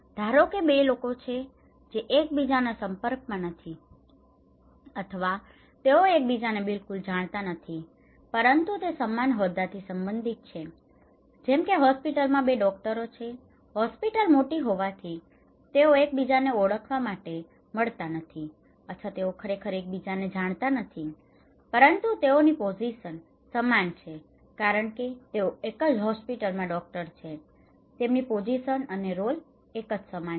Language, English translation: Gujarati, The 2 people they do not interact with each other or they may not know each other at all, but they belong to same position like in a hospital, 2 doctors, they may not meet to know each other, or they may not know actually, but they have a same position that they are a doctor in a same hospital, the hospital is very big so, they have same role and same positions